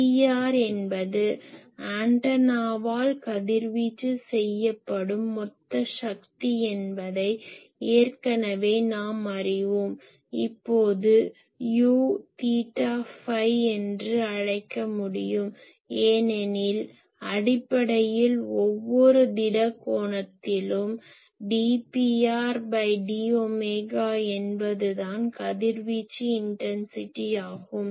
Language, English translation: Tamil, And already we know that P r is the total power radiated by the antenna , now U theta phi that I can call that instantaneously , it is basically at every solid angle what is the d P r d phi , that is the radiation intensity